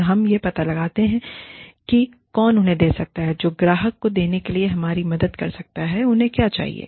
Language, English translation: Hindi, And, we find out, who can give them, who can help us give the clients, what they need